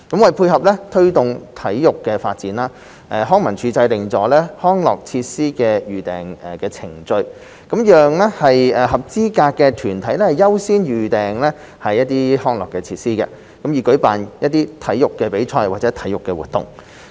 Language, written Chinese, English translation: Cantonese, 為配合推動體育發展，康樂及文化事務署制訂了"康樂設施的預訂程序"，讓合資格的團體優先預訂康樂設施，以舉辦體育比賽或體育活動。, To complement the promotion of sports development the Leisure and Cultural Services Department LCSD has put in place a booking procedure for recreation and sports facilities allowing eligible organizations to make priority booking of such facilities to organize sports competitions or activities